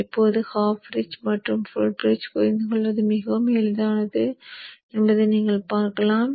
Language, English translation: Tamil, Now you will see that it is very easy to understand the half bridge and the full bridge